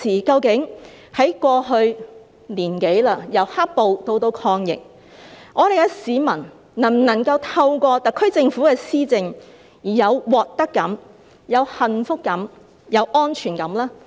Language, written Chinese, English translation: Cantonese, 究竟在過去一年多，由"黑暴"以至抗疫，市民能否透過特區政府的施政而有獲得感、幸福感和安全感呢？, During the past one year through the Governments administration from dealing with the riots to fighting the virus can the public gain any sense of gain happiness and security?